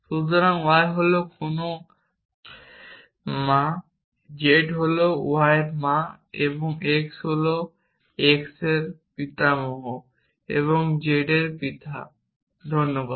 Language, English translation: Bengali, So, y is the mother of no sorry z is the mother of y and x is the grandfather of x is the father of z thanks